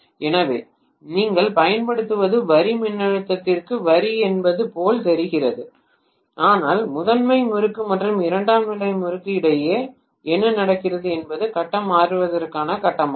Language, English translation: Tamil, So, what you are applying looks as though it is line to line voltage, but what happens between the primary winding and secondary winding is phase to phase transformation